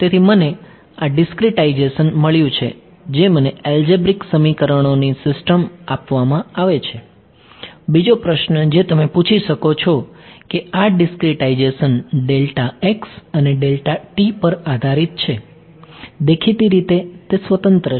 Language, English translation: Gujarati, So, I have got this I got this discretization which is given me system of algebraic equation, another question that you can ask is this discretization depends on delta x and delta t right; obviously, that is the discrete